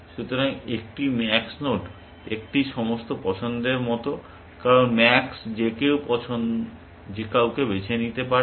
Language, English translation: Bengali, So, a max node is like an all choice, because max can choose anyone essentially